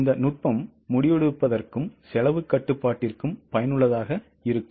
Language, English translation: Tamil, This technique is useful for both decision making as well as cost control